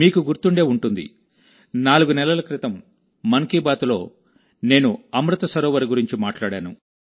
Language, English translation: Telugu, You will remember, in 'Mann Ki Baat', I had talked about Amrit Sarovar four months ago